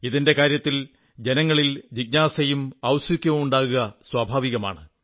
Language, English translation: Malayalam, It is natural for our countrymen to be curious about it